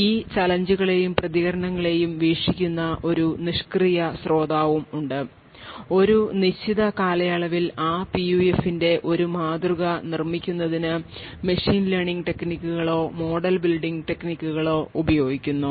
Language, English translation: Malayalam, Now there is also a passive listener in this entire thing who views these challenges and the responses and over a period of time uses machine learning techniques or model building technique to build a model of that PUF